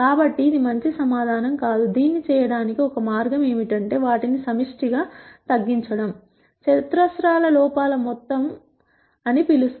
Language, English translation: Telugu, So, that is not a good answer at all, one way to do this is to collectively minimize all of them by minimizing what we call as the sum of squares errors